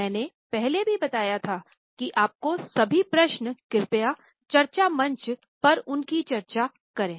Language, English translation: Hindi, All your queries and questions please discuss them on the discussion forum